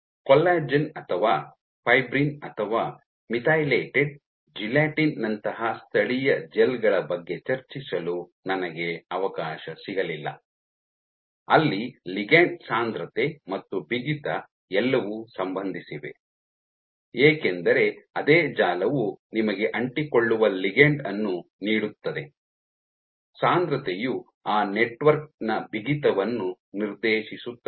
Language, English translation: Kannada, I did not get a chance to discuss about native gels like collagen or fibrin or methylated, gelatine, where ligand density and stiffness are all related because the same network which is giving you the adhesive ligand that concentration is also dictating the bulk stiffness of that network